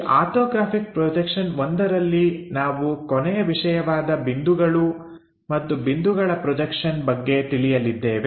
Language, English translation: Kannada, So, in these orthographic projections I, we are covering the last topic on points and point projections